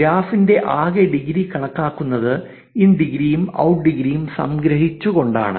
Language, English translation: Malayalam, Total degree of a graph is calculated by summing the in degree and out degree